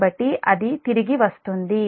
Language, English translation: Telugu, we will come back to that